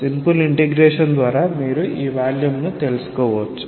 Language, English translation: Telugu, By simple integration, you can find out this volume